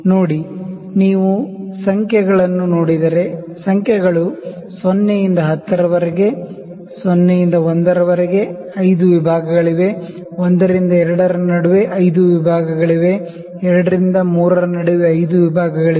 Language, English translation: Kannada, See, if you see the numbers, the numbers are from 0 to 10; between 0 to 1 there are 5 divisions, between 1 to 2 there are 5 divisions, between 2 to 3 there are 5 divisions